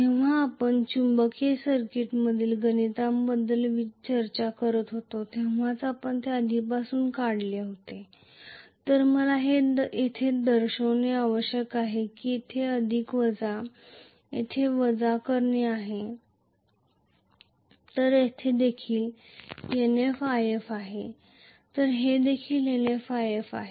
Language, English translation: Marathi, This we drew it already when we were discussing with respect to the calculations in a magnetic circuit so I have to show it as though I am going to have plus minus here, plus minus here, so this is also Nf If this is also Nf If, this is how it is going to be,right